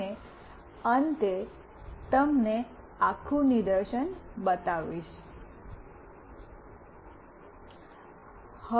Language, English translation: Gujarati, And finally, we will show you the whole demonstration